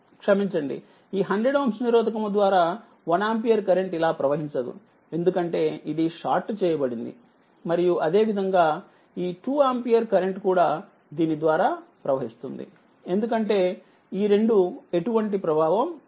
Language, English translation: Telugu, So, because it will this this current will not flow through this 1 ampere ah sorry through this 100 ohm resistance, because it is sorted and similarly this 2 ampere current also will flow through this, because these two are ineffective, because it is sorted